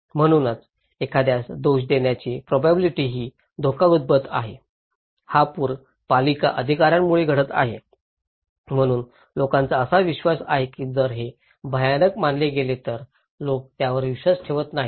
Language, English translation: Marathi, So, also the potential to blame someone that this risk is happening, this flood is happening because of the municipal authority, so people are deeply believing that if it is considered to be dread people don’t believe it